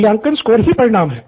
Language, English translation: Hindi, Outcome is the assessment score